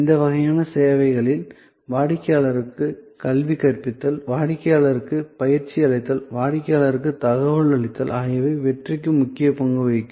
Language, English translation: Tamil, In these types of services, educating the customer, training the customer, keeping the customer informed will be an important to input for success